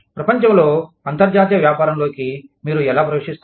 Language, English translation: Telugu, How do you enter, in to international business, in the world